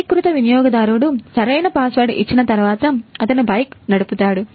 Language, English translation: Telugu, So, when the authorized user will call he will give the right password and he will ride the bike